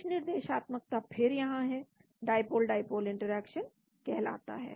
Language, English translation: Hindi, Some directionality is there again called the dipole dipole interaction